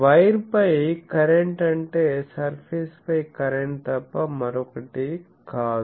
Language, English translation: Telugu, Current on the wire is nothing but current on that surface